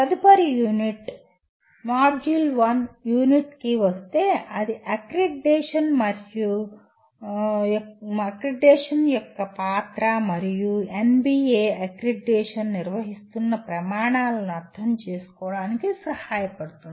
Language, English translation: Telugu, Coming to the next unit, M1U5 which will attempt to facilitate understanding of the role of accreditation and the criteria according to which NBA conducts accreditation